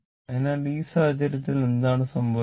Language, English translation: Malayalam, So, in this case what is happening